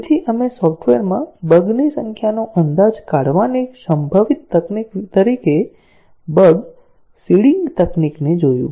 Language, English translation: Gujarati, So, we looked at the error seeding technique, as a possible technique to estimate the number of bugs in the software